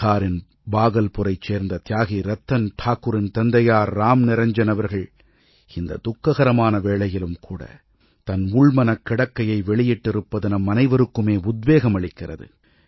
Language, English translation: Tamil, The fortitude displayed by Ram Niranjanji, father of Martyr Ratan Thakur of Bhagalpur, Bihar, in this moment of tribulation is truly inspiring